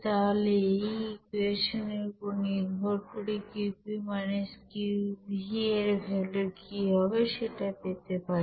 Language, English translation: Bengali, So based on this equation, we can have what should be the value of Qp – Qv